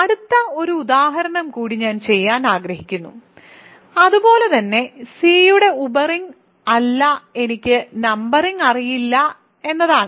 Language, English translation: Malayalam, So, next one more example I want to do, similarly that is not a sub ring of C is I do not know the numbering